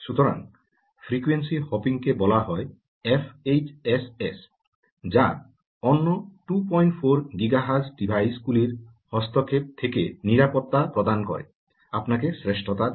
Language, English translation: Bengali, so frequency hopping f h, s, s, as it is called, is something gives you superiority in terms of its immunity from interference from other two point four giga hertz devices